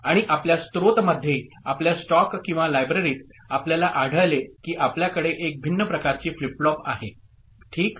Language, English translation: Marathi, And in your resource, in your stock or library, you find that a different kind of flip flop is available with you ok